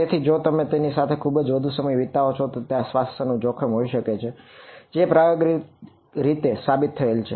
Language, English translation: Gujarati, So, if you spend too much time in front of them there is a health risk which empirically has been observed